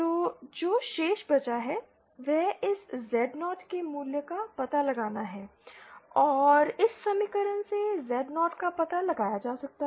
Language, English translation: Hindi, So the remaining things that is left is to find out the value of this Z0 and that Z0 can be found out from this equation